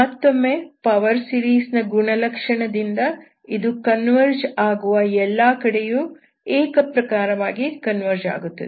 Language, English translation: Kannada, And again from the property of the power series, this Converges uniformly wherever it is converging, power series convergence, okay